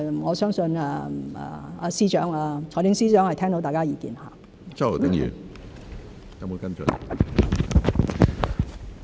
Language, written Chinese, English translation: Cantonese, 我相信財政司司長是聽到大家的意見。, I believe the Financial Secretary has heard Members views